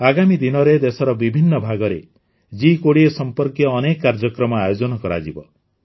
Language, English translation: Odia, In the coming days, many programs related to G20 will be organized in different parts of the country